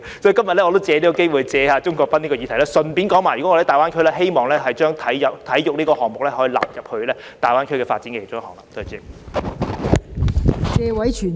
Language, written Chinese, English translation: Cantonese, 所以，我今天亦藉此機會，就鍾國斌議員的議案發言，談論我們希望把體育項目納入大灣區發展。, Therefore I would like to take this opportunity to speak on Mr CHUNG Kwok - pans motion today to express our hope of including sports in the GBA development